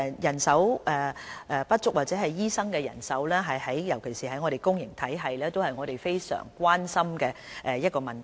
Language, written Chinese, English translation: Cantonese, 人手不足或醫生的人手不足，尤其當情況出現在公營體系，是我們非常關心的問題。, Manpower shortage or the shortage of medical doctors and especially those in the public system is an issue of grave concern to us